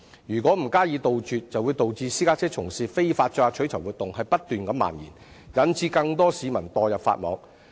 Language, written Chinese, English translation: Cantonese, 如果不加以杜絕，便會導致這類非法活動不斷蔓延，令更多市民墮入法網。, If these illegal activities cannot be eliminated they will continue to proliferate and more members of the public will be caught by the law